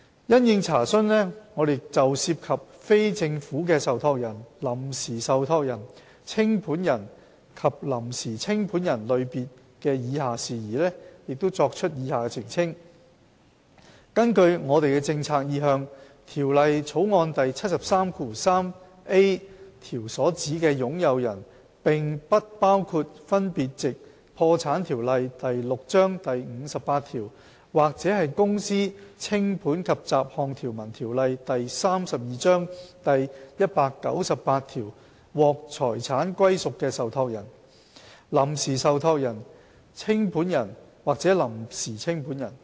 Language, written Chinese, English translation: Cantonese, 因應查詢，我們就涉及非政府的受託人、臨時受託人、清盤人及臨時清盤人類別的以下事宜，作出以下澄清：根據我們的政策意向，《條例草案》第 733a 條所指的"擁有人"並不包括分別藉《破產條例》第58條或《公司條例》第198條獲財產歸屬的受託人、臨時受託人、清盤人或臨時清盤人。, In response to enquiries we would like to clarify the following issues in respect of the categories of non - governmental trustee interim trustee liquidator and provisional liquidator as follows according to our policy intent the meaning of owner under clause 733a of the Bill does not include the trustee interim trustee liquidator or provisional liquidator in whom the property is vested according to section 58 of the Bankruptcy Ordinance Cap . 6 or section 198 of the Companies Ordinance Cap . 32 respectively